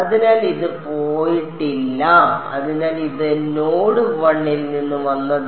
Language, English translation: Malayalam, So, its not its not gone, so, this as come from node 1